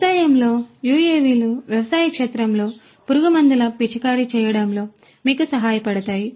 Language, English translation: Telugu, UAVs in agriculture could help you in spraying of pesticides in the agricultural field